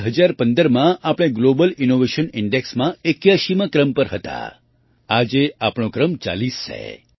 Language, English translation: Gujarati, In 2015 we were ranked 81st in the Global Innovation Index today our rank is 40th